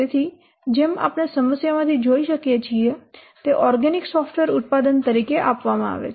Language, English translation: Gujarati, So as you can see from the problem, it is given as organic software product